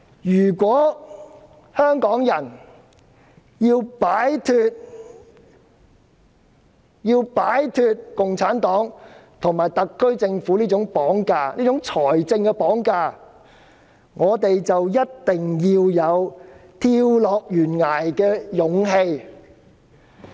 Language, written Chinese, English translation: Cantonese, 如果香港人要擺脫共產黨及特區政府這種"綁架"，這種"財政綁架"，便必須有跳下懸崖的勇氣。, If Hong Kong people want to break free from this kind of abduction financial abduction of the Communist Party and the SAR Government they must have the courage to jump off the cliff